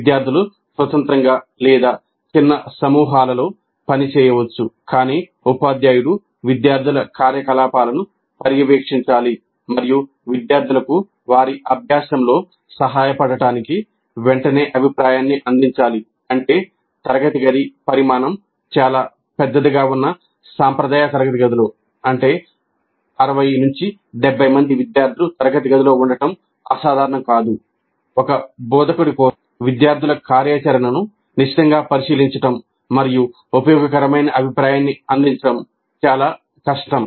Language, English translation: Telugu, Students could work either independently or in small groups, but teacher must monitor the student activity and provide feedback immediately to help the students in their practice, which means that in a traditional classroom setting where the classroom size is fairly large, it's not unusual to have a class of 60, 70 students, for one instructor to closely monitor the student activity and provide useful feedback may be very difficult